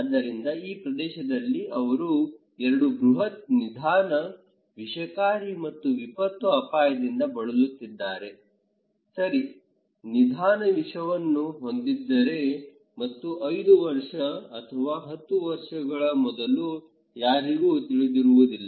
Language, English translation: Kannada, So, this area they are suffering from 2 huge slow poisoning environmental and disaster risk, okay is that you are slow poison gradually and nobody is realizing until before 5 years or 10 years